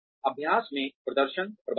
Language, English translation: Hindi, Performance management in practice